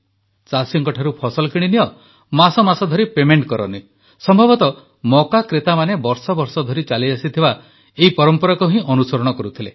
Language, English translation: Odia, Buy the crop from the farmer, keep the payment pending for months on end ; probably this was the long standing tradition that the buyers of corn were following